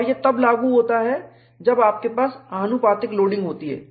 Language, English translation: Hindi, And what is proportional loading